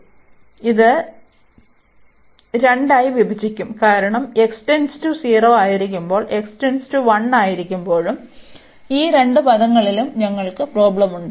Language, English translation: Malayalam, So, we will break into two, because we have the problem at both the ends when x approaching to 0 as well as when x is approaching to 1 because of this term